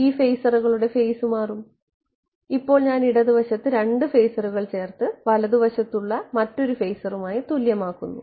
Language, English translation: Malayalam, These phasors will change in phase, now I am adding 2 phasors on the left hand side and equating it to another phasor on the right hand side